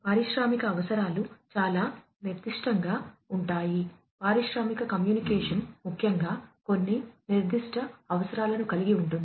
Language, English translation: Telugu, Industrial requirements are very specific, industrial communication particularly has certain specific requirements